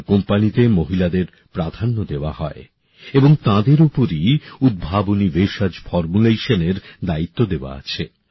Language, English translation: Bengali, Priority is given to women in this company and they are also responsible for innovative herbal formulations